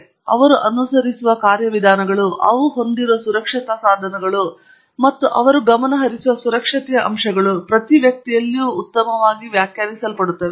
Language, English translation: Kannada, Therefore, the procedures that they follow, the safety equipment that they have, and the aspects of safety that they focus on are actually well defined for each individual